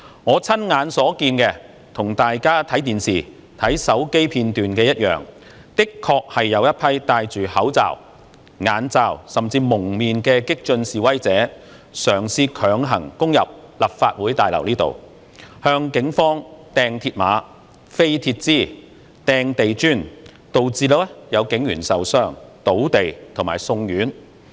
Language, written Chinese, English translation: Cantonese, 我親眼所見，與大家看電視和手機片段一樣，的確有一群戴着口罩、眼罩，甚至蒙面的激進示威者，嘗試強行攻入立法會大樓，向警方擲鐵馬、擲鐵枝、擲地磚，導致有警員受傷、倒地及送院。, What I saw with my own eyes is the same as what Members saw in the videos on the television and mobile phones . There were indeed a group of radical protesters clad in masks covering their mouths eyes and even their faces attempting to charge into the Legislative Council Complex by force . They hurled mills barriers metal bars and bricks at the Police resulting in police officers being injured falling onto the ground and being sent to the hospital